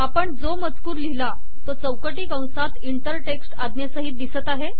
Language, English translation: Marathi, Whatever text we want to put appears in braces with an inter text command